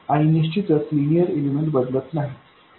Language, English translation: Marathi, And of course, linear elements